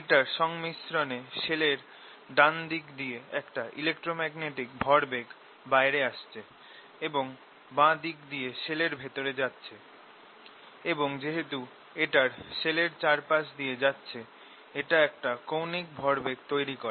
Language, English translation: Bengali, so what i have in this combination is that there is magnetic, electromagnetic, ah, electomagnetic momentum coming out on the rights side of the shell and going in the left side of a shell and since this is going around, it gives rise to an angular momentum